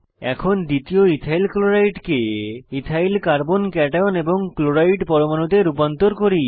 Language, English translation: Bengali, Now, lets convert second EthylChloride to Ethyl Carbo cation and Chloride ions